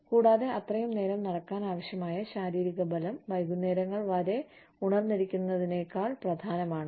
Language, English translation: Malayalam, And, physical strength required to walk, for that much time, could be more important, than staying away, till late hours